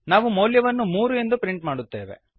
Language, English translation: Kannada, We print the value as 3